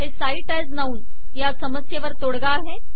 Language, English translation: Marathi, This cite as noun fixes this problem